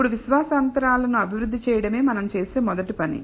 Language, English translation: Telugu, Now, the first thing we will do is to develop confidence intervals